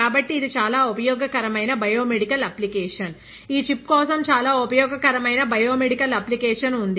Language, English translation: Telugu, So, this is a very useful biomedical application; there is a very useful biomedical application for this chip, because it is point of care